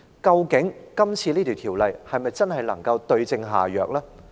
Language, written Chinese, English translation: Cantonese, 究竟《條例草案》能否真正對症下藥？, Will the Bill be the right remedy to the problem?